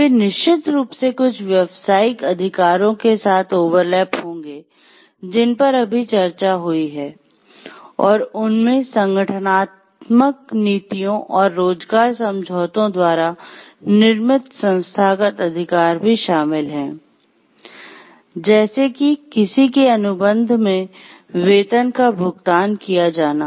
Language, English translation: Hindi, They will of course, definitely overlap with some of the professional rights of the sort that just discussed and they also include institutional rights created by organizational policies and employment agreements; such as to be paid a salary in ones contract